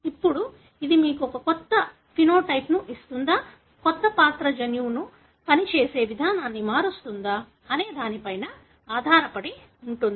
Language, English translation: Telugu, Now, whether this would give you a new phenotype, new character depends on whether it changes the way the gene functions